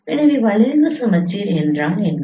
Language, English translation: Tamil, So what is skew symmetric